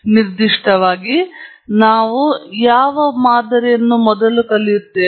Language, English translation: Kannada, So, in particular, we will learn first what is a model